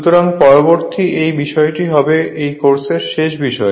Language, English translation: Bengali, So, next this will be the last topic for this course